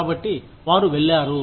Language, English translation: Telugu, So, they went